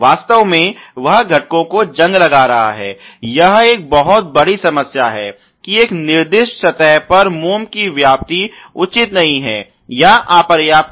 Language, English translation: Hindi, In fact, creates rusting of the components; it is a very big problem is that the wax coverage on a specified surface is not appropriate or is insufficient